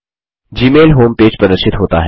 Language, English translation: Hindi, The Gmail home page appears